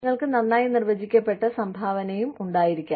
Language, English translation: Malayalam, You could also have, a well defined contribution